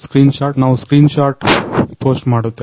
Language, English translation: Kannada, screenshot, we will post a screenshot